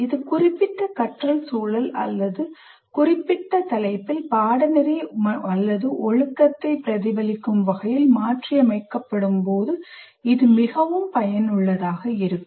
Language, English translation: Tamil, It is most effective when it is adapted to reflect the specific learning context or specific topic course or discipline